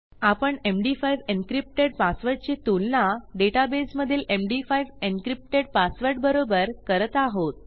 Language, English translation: Marathi, So we are comparing an md5 encrypted password to an md5 encrypted password in our database